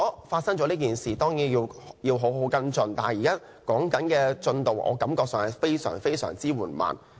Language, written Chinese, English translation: Cantonese, 發生了這件事情，當然要好好跟進，但我感到現時的進度非常緩慢。, Follow - up actions should certainly be taken properly after the occurrence of this incident . However I find the progress to date has been extremely slow